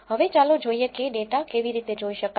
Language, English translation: Gujarati, Now, let us see how to view the data